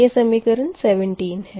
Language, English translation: Hindi, this is equation sixteen